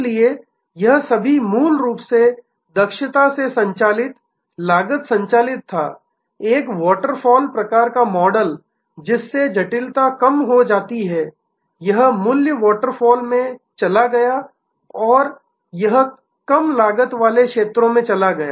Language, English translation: Hindi, So, it was all basically efficiency driven, cost driven following a sort of a waterfall model, that lower the complexity lower it went into the value waterfall and it moved to lower cost zones